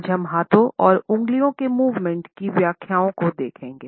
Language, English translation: Hindi, Today we would look at the interpretations associated with the movement of hands as well as fingers